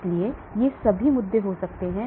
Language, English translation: Hindi, so all these issues can happen